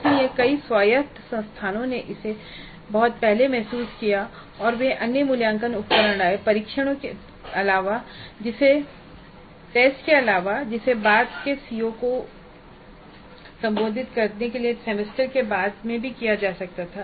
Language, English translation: Hindi, So, several autonomous institutes realize this very early and they brought in other assessment instruments other than tests which could be administered later in the semester to address the later COS